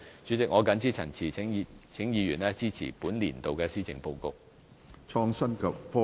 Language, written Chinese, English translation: Cantonese, 主席，我謹此陳辭，請議員支持本年度的施政報告。, With these remarks President I urge Members to support the Policy Address this year